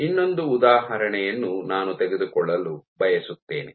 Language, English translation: Kannada, One more example I would like to take